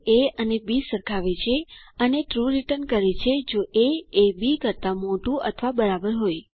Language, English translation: Gujarati, It compares a and b and returns true if a is greater than or equal to b